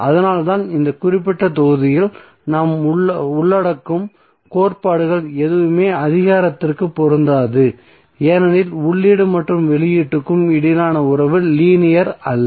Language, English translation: Tamil, So that is why whatever the theorems we will cover in this particular module will not be applicable to power because the relationship between input and output is not linear